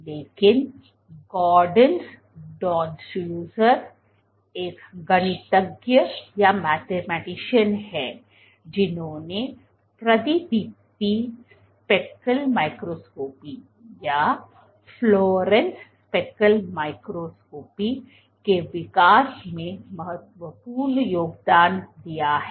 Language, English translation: Hindi, So, there are authors Goderns Danuser is a mathematician who has significantly contributed to the development of fluorescence speckle microscopy